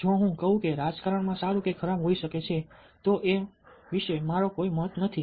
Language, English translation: Gujarati, if i say that politics may be good or bad, i dont have any opinion about it that's not an attitude